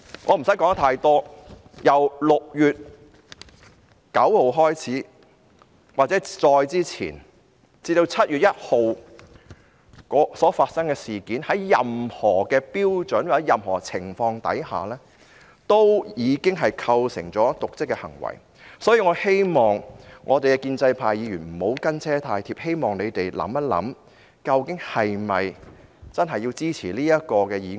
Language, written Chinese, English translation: Cantonese, 我不用說太多，由6月9日或再之前，至7月1日所發生的事件，在任何標準或任何情況下，已經構成瀆職行為，所以我希望建制派議員不要"跟車"太貼，希望他們想一想，其實是否應支持這項議案呢？, I do not need to say too much . The incidents that happened from 9 June or earlier to 1 July would constitute dereliction of duty under any standards or conditions . Therefore I hope Members in the pro - establishment camp can refrain from tailgating too close